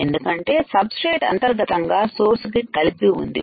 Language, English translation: Telugu, , Because substrate is internally connected to the source